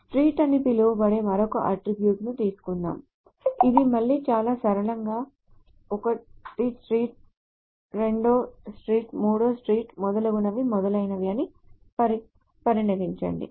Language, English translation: Telugu, Let us take another attribute which is called street which is again very simply say first, first street, second street, third street, so on so forth, etc